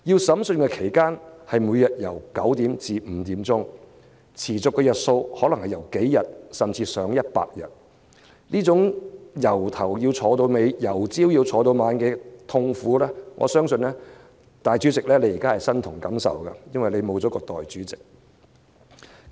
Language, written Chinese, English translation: Cantonese, 審訊期間，每天朝九晚五，持續幾天至上百天不等，這種從早上坐到晚上的痛苦，我相信主席你現時身同感受，因為沒有代理主席和你分擔。, When it comes to the pain of sitting from morning till night I believe you President have personal experience as we still do not have a Deputy President to share your work